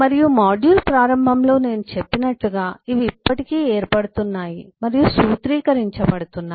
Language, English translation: Telugu, and as I mentioned at the beginning of the module is these are still being formed and formulated